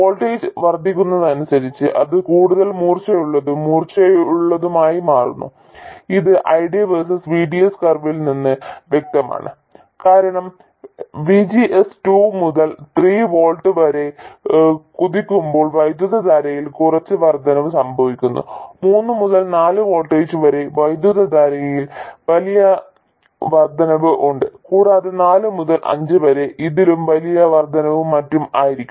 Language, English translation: Malayalam, That is also apparent from the ID versus VDS curve because when VGS jumps from 2 to 3 volts there is some increase in current, 3 to 4 volts there is a much larger increase in current and 4 to 5 will be even larger increase and so on